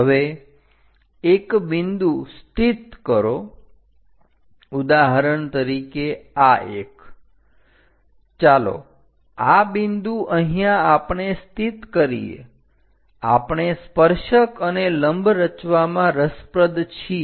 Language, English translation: Gujarati, Now locate a point, for example, this one; let us mark this point here, I am interested to construct tangent and normal